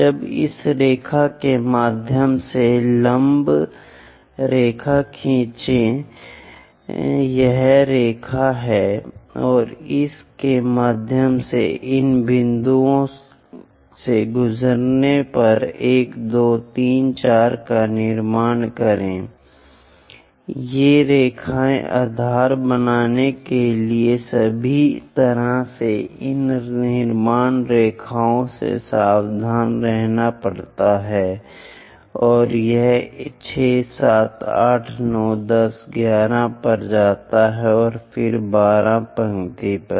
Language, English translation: Hindi, Now draw perpendiculars through this line this is the line and through that passing through these points construct 1 2 3 4 these lines goes all the way to base one has to be careful with these construction lines, and it goes all the way to 6 7 8 9 11 and then 12 line